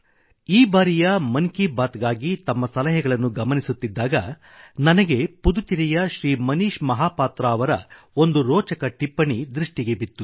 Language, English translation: Kannada, My dear brothers and sisters, when I was going through your suggestion for Mann Ki Baat this time, I found a very interesting comment from Shri Manish Mahapatra from Pudducherry